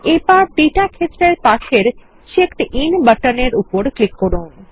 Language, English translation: Bengali, Let us click on the button next to the Data field that says CheckedIn